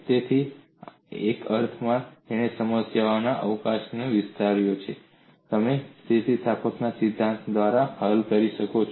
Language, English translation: Gujarati, So in a sense it has expanded the scope of problems that you could solve by a theory of elasticity approach